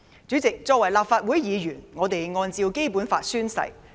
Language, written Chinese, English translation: Cantonese, 主席，作為立法會議員，我們按照《基本法》宣誓。, President we were sworn in as Legislative Council Members in accordance with the Basic Law